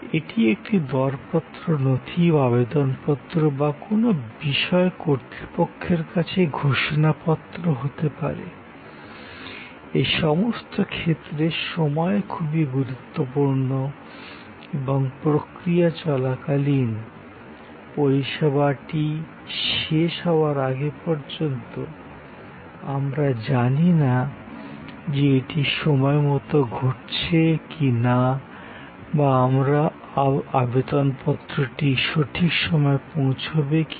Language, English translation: Bengali, It could be a tender document, it could be an application form, it could be a declaration to authorities for certain things, in all these cases it is time critical and during the process, till the service is completed, we do not know is it happening on time, am I going to be ok with the last date for this application